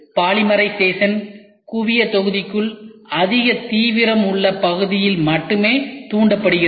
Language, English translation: Tamil, Polymerization is only to trigger the high intensity region within the focal volume